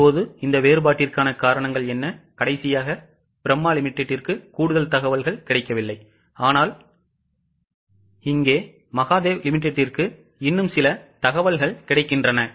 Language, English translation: Tamil, Now, what are the causes of this difference in the last case that is Brahma Limited no more information was available but here in case of Mahadev Limited some more information is available